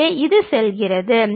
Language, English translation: Tamil, So, it goes and this